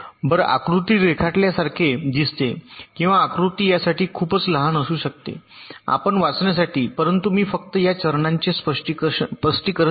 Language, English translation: Marathi, it looks like this, or the diagram may be too small for you to read, but i will just explain this steps